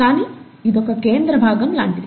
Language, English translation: Telugu, But it's kind of a central part